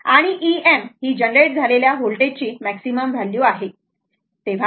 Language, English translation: Marathi, E m is the maximum value of the voltage generated, right